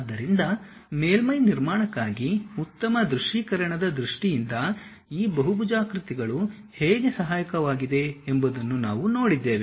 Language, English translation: Kannada, So, for surface constructions we have seen how these polygons are helpful in terms of better visualization